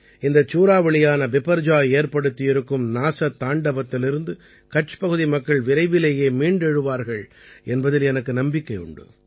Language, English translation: Tamil, I am sure the people of Kutch will rapidly emerge from the devastation caused by Cyclone Biperjoy